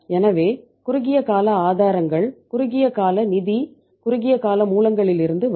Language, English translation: Tamil, So it means short term sources will short term funds will come from the short term sources